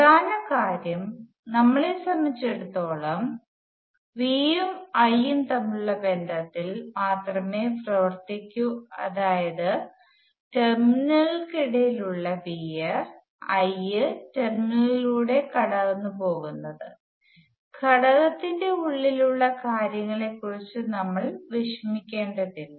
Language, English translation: Malayalam, And the key point is that for us, we will only work with the relationships between V and I that is V between the terminals and I going through the terminals that is good enough for us we do not need to worry about the internal details